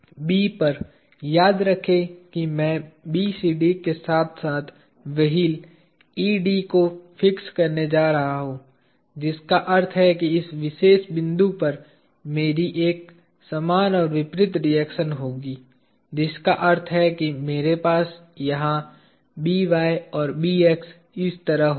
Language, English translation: Hindi, At B, remember I am going to fix BCD as well as the wheel ED which means at this particular point I will have an equal and opposite reaction which means I will have By here and B x like this, simple